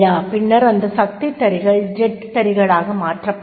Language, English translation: Tamil, And then the power looms were replaced by the jet looms